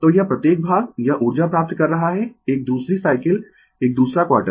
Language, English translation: Hindi, So, this each part, it is receiving energy another cycle another quarter